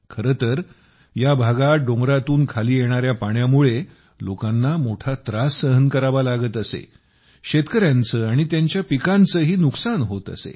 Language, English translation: Marathi, In fact, in this area, people had a lot of problems because of the water flowing down from the mountain; farmers and their crops also suffered losses